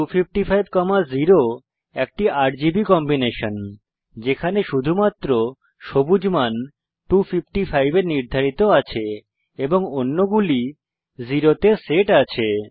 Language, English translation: Bengali, 0,255,0 is a RGB Combination where only the green value is set to 255 and the others are set to 0